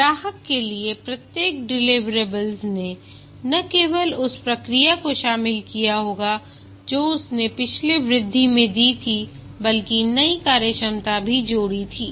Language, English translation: Hindi, Each deliverable to the customer would not only have incorporated the feedback that he had given in the previous increment, but also added new functionalities